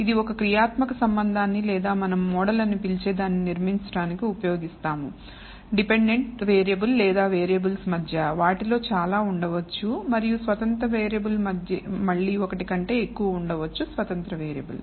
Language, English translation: Telugu, It is used to build a functional relationship or what we call model, between a dependent variable or variables there may be many of them and an independent variable again there might be more than one independent variable